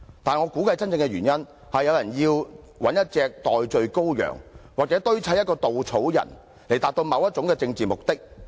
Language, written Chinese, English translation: Cantonese, 但是，我估計真正的原因，是有人要找一隻代罪羔羊或堆砌一個稻草人，以達到某種政治目的。, However I guess the true reason is that someone wants to find a scapegoat or fashion a scarecrow to achieve certain political aims